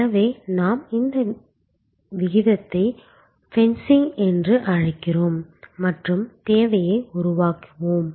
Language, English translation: Tamil, So, we call this rate fencing and creating buckets of demand